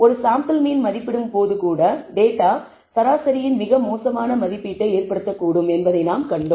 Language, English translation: Tamil, We saw that even when we are estimating a sample mean, one that data can result in a very bad estimate of the mean